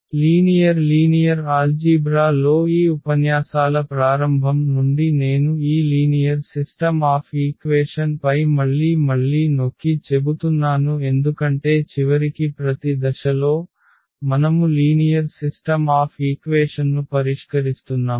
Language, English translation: Telugu, So, from the beginning of this lectures in linear algebra I am emphasizing again and again on this system of linear equations because at each and every step finally, we are solving the system of linear equations